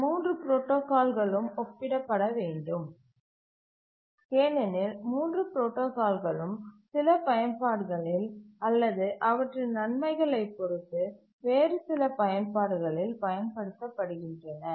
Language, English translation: Tamil, Now let's compare these three protocols that we looked at because all the three protocols are used in some application or other depending on their advantages